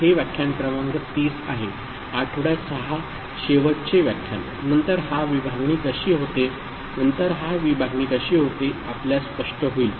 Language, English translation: Marathi, I believe it is lecture number 30 ok week 6 last lecture, then it will be clearer to you how this division takes place